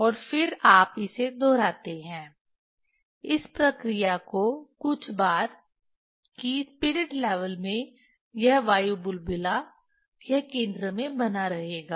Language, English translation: Hindi, and then you repeat this, this operation few times, that this spirit level this air bubble in the spirit level it will remain the remain at the center